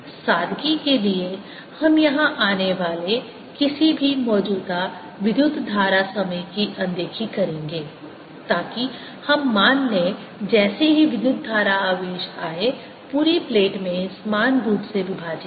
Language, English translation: Hindi, for simplicity we'll ignore we the any, the current flowing time here, so that we'll assume as soon as the current ah the charge comes in, its splits evenly throughout the plate